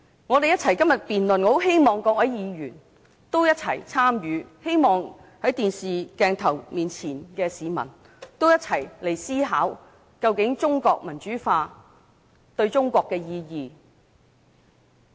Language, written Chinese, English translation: Cantonese, 我很希望各位議員一起參與今天的辯論，亦希望電視熒幕前的市民可以一起思考，中國民主化究竟對中國有甚麼意義？, I very much hope that Members can participate in this debate today . I would also like members of the public who are now watching the television broadcast to consider the following questions together How important is democratization to China?